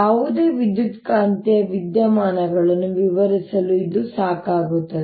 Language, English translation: Kannada, these are sufficient to describe any electromagnetic phenomena